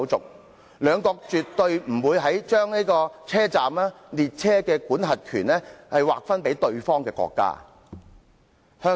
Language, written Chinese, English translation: Cantonese, 英法兩國絕對不會把車站及列車的管轄權劃分予對方國家。, Neither will Britain nor France surrender their jurisdiction over their respective train stations to the other country